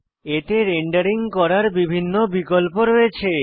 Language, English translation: Bengali, It has a variety of selection and rendering options